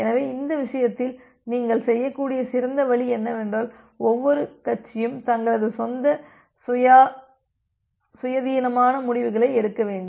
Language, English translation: Tamil, So, in this case the best way you can do is that let every party take their own independent decisions